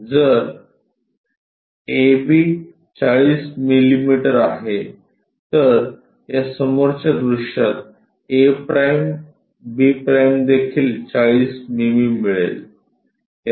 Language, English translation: Marathi, So, if A B is 40 mm, then in this front view a’ b’ also 40 mm we will get